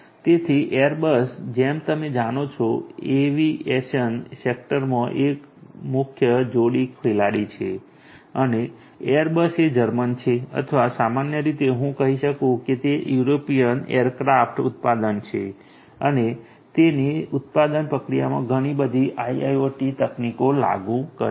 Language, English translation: Gujarati, So, Airbus as you know is a major pair player in the aviation sector and airbus is German and German or in general I can tell the it is an European aircraft manufacturer and it applies lot of IoT technologies in it’s production process